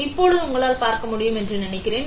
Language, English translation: Tamil, Now, I think you are able to see it